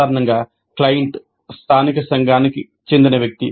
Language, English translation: Telugu, Usually the client is someone from a local community